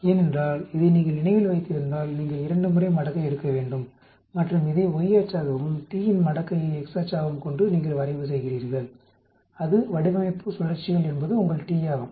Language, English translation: Tamil, Because if you remember this, you have to take 2 times logarithm and you plot keeping this as y axis and logarithm of t as your x axis, that is the design cycles is your t